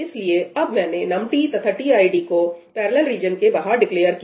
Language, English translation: Hindi, So, I have now declared num t and tid outside the parallel region